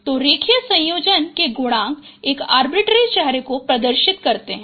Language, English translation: Hindi, So coefficients of linear combination, it represent an arbitrary phase